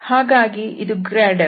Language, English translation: Kannada, So this is the grad F